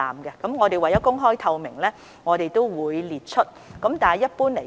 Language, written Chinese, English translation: Cantonese, 不過，為公開透明，我們亦會列出有關個案。, But for the sake of openness and transparency we will also list out such cases